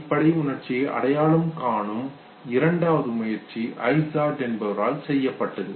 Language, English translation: Tamil, The second attempt to identify basic emotion was made by Izard